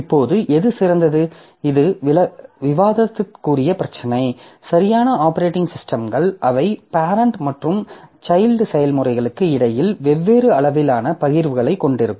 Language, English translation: Tamil, So, that is a debatable issue, like different operating systems, they will have different degree of sharing between the parent and child child processes